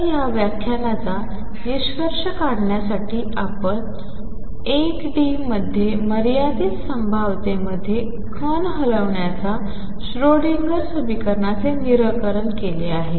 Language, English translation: Marathi, So, to conclude this lecture we have solved the Schrodinger equation for a particle moving in a finite well potential in one d